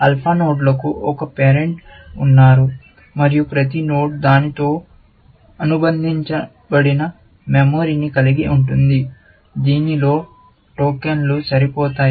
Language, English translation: Telugu, Alpha nodes have one parent, and every node has a memory, associated with it in which, tokens can sit, essentially